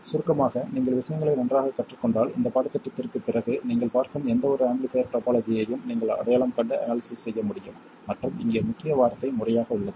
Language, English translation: Tamil, In short, if you learn things well after this course you should be able to recognize and analyze any amplifier topology that you see and the keyword here is systematically